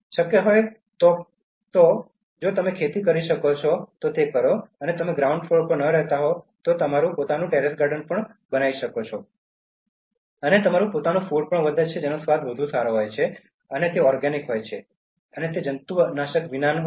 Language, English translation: Gujarati, Whatever is possible if you can cultivate even if you are not living on a ground floor you can have your own terrace garden and grow your own food that tastes much better and it is organic, and it is without pesticides